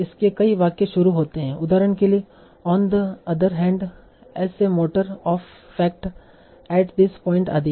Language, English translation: Hindi, So many sentences start with, for example, on the other hand, as a matter of fact, at this point, etc